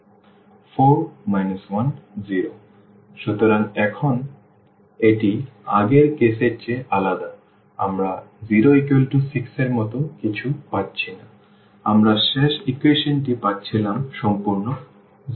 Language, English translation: Bengali, So, now this is different than the previous case we are not getting anything like 0 is equal to 6 we were getting the last equation is completely 0